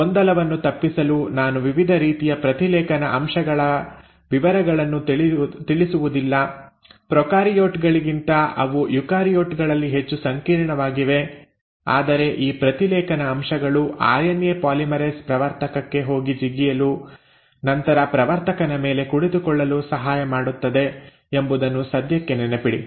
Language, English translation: Kannada, Now to avoid confusion I am not getting into details of different kinds of transcription factors, they are far more complex in eukaryotes than in prokaryotes, but just for the time being remember that it is these transcription factors which assist the RNA polymerase to go and hop on a to the promoter and then sit on the promoter